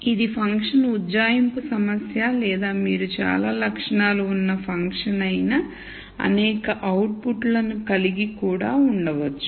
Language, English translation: Telugu, This is also a function approximation problem or you could also have many outputs which are a function of many attributes